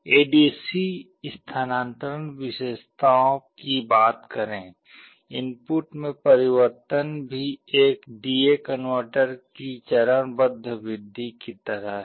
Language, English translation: Hindi, Talking of the ADC transfer characteristics, as the input changes there is also a stepwise increase just like a D/A converter